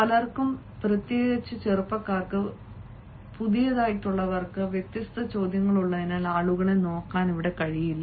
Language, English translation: Malayalam, many people, especially the young, especially the novice ones, they are not able to look at the people because they have different sorts of question